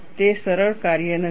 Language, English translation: Gujarati, It is not a simple task